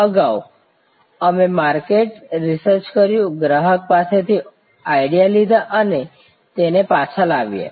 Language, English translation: Gujarati, Earlier, we did market research, took ideas from customer and brought it back